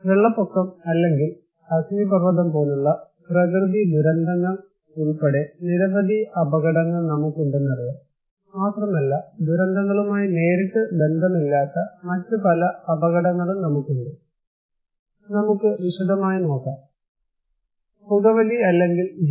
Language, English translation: Malayalam, We already know that we have many hazards including natural hazards okay, like flood or kind of volcano but also we have many other hazards which are not directly related to disasters but let us look at in a broader perspective, we could have smoking or GMO